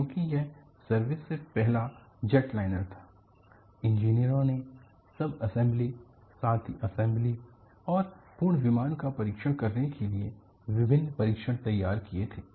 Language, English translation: Hindi, Now, what you will have to look at is because it was the first jetliner into service, the engineers have deviced various tests to test the subassemblies, as well as assemblies, and also the full aircraft